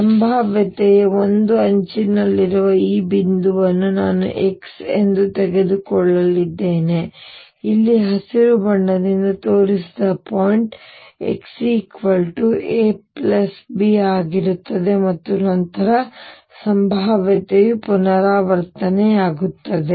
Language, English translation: Kannada, This point at one edge of the potentially I am going to take as x, the point here shown by green is x equals a plus b and then the potential repeat itself